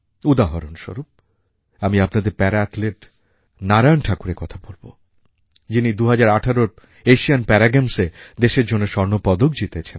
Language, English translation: Bengali, To give you an example, I would like to mention about Para Athlete Narayan Thakur, who won a gold medal for the country in the 2018 Para Asian Games